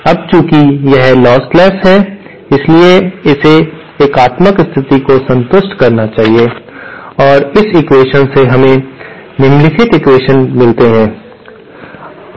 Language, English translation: Hindi, Now since it is lossless, it should satisfy the unitary condition and from this equation we get the following equations